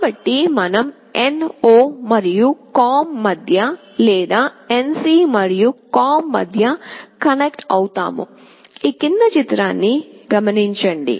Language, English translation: Telugu, So, we will be connecting either between NO and COM, or between NC and COM